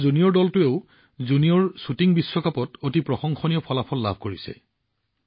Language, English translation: Assamese, Our junior team also did wonders in the Junior Shooting World Cup